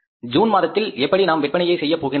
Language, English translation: Tamil, How much we are going to sell in the month of June